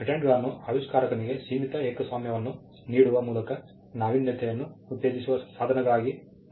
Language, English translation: Kannada, Patents are also seen as instruments that can incentivize innovation by offering a limited monopoly for the inventor